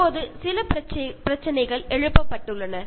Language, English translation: Tamil, Now these issues are raised